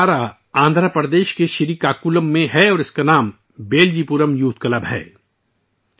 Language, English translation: Urdu, This institution is in Srikakulam, Andhra Pradesh and its name is 'Beljipuram Youth Club'